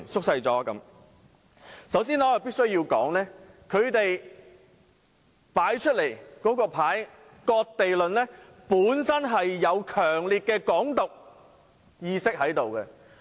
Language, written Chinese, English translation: Cantonese, 首先，我必須指出，他們的"割地論"本身有強烈的"港獨"意識。, First of all I must point out that their cession of land theory carries a strong sense of Hong Kong independence